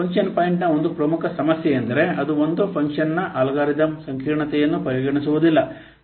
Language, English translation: Kannada, It does not consider one of the major problem with function point is that it does not consider algorithm complexity of a function